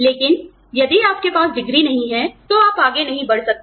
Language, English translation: Hindi, But, if you do not have the degree, you just cannot move on